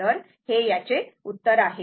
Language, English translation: Marathi, So, this is answer